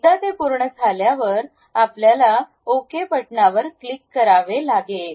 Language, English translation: Marathi, Once it is done, you have to click Ok button